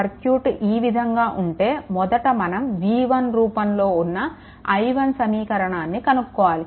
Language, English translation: Telugu, So, if it is, if it is so then first what you do is you find out the expression of i 1 in terms of v 1